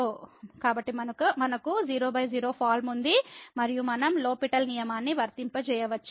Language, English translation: Telugu, So, we have 0 by 0 form and we can apply the L’Hospital rule